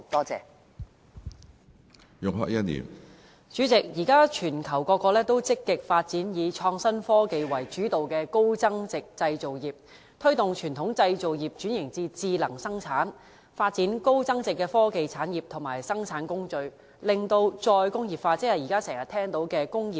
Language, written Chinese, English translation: Cantonese, 主席，現時全球各國均積極發展以創新科技為主導的高增值製造業，推動傳統製造業轉至智能生產，發展高增值的科技產業和生產工序，進行"再工業化"，即現時經常聽到的"工業 4.0"。, President many countries around the globe are proactively developing high value - added manufacturing industries led by innovation and technology . This trend has prompted traditional manufacturing industries to switch to intelligent production; develop high value - added industries and production processes; and undergo re - industrialization ie . Industry 4.0 which we often hear about